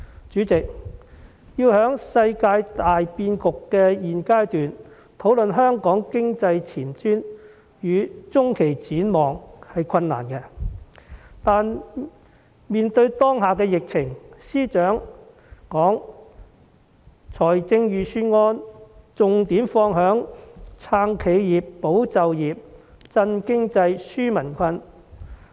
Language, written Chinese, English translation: Cantonese, 主席，在現階段的世界大變局討論香港經濟前瞻與中期展望是困難的，但面對當前的疫情，司長把預算案的重點放在"撐企業，保就業，振經濟，紓民困"。, President it is difficult to discuss the economic prospects and medium - term outlook at this stage when the world is undergoing drastic changes . In the face of the current epidemic the Financial Secretary placed the focus of the Budget on supporting enterprises safeguarding jobs stimulating the economy and relieving peoples burden